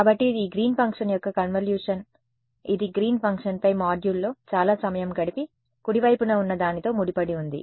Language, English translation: Telugu, So, it is the convolution of this Green’s function which we have spent a lot of time studying in the module on Green’s function convolved with whatever was on the right hand side